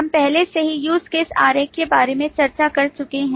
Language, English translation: Hindi, We have already discussed about the use case diagram at length